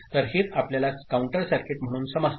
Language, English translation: Marathi, So, that is what we understand as a counter circuit